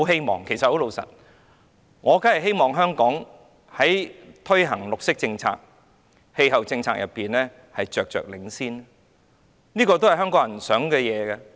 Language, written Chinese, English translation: Cantonese, 老實說，我當然希望香港在推行綠色政策、氣候政策上着着領先，這也是香港人的期望。, Honestly I surely hope that Hong Kong will be a front - runner in implementing green policies and climate policies and I think this is also the aspiration of the people of Hong Kong